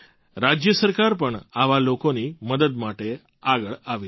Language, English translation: Gujarati, The state government has also come forward to help such people